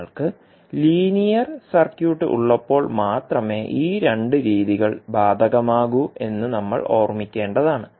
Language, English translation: Malayalam, And we have to keep in mind that these two methods will only be applicable when you have the linear circuit